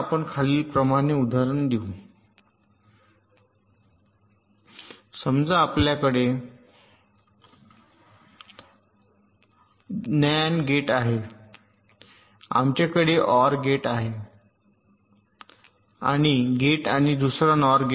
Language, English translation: Marathi, lets take an example as follows: lets say we have an nand gate, we have an or gate and gate and another nor gate